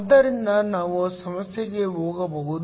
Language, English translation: Kannada, So, we can go to the problem